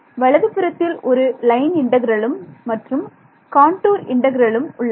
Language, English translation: Tamil, The right hand side where I had 1 line integral or contour integral, I would have 2 ok